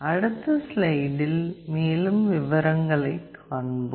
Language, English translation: Tamil, We will be looking into more details in next slide